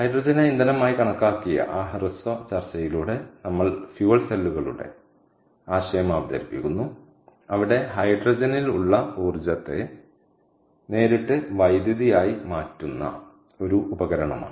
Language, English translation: Malayalam, so with that brief discussion at hydrogen as fuel, we moved on to and we introduce the concept of fuel cells, where hydrogen, which is a device that cons, that converts the energy trapped in hydrogen directly into electricity